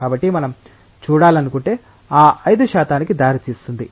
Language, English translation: Telugu, So, if we want to see that what will lead to that 5 percent